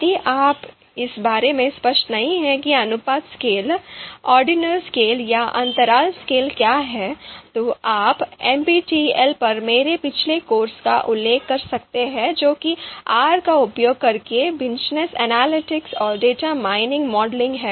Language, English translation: Hindi, What we mean by ordinal or interval scale is something if you are not clear about you know what is ratio scale, ordinal scale or interval scale, you can refer to my previous course on NPTEL that is ‘Business Analytics and Data Mining Modeling using R’